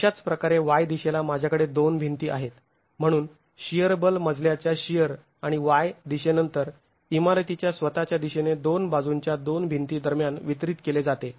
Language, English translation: Marathi, In the Y direction similarly I have two walls so the shear force, the story shear in the Y direction is then distributed between the two walls at the two extremities in the Y direction of the building itself